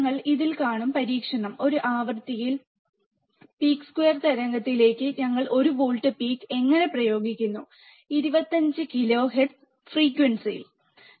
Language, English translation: Malayalam, So, we will see in the experiment, how we are applying one volt peak to peak square wave, at a frequency of 25 kilohertz